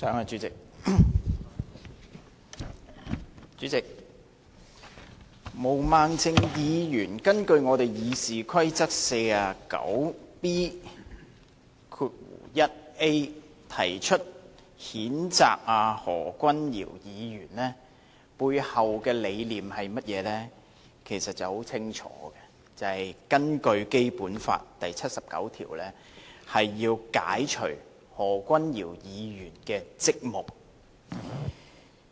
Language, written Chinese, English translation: Cantonese, 主席，毛孟靜議員根據《議事規則》第 49B 條動議譴責何君堯議員的議案，背後的理念是甚麼，其實很清楚，就是根據《基本法》第七十九條，要解除何君堯議員的職務。, President Ms Claudia MO moved the censure motion against Dr Junius HO in accordance with section 49B1A of the Rules of Procedure what was the motive behind it? . In fact it is very clear it was to remove Dr Junius Ho from his office according to Article 79 of the Basic Law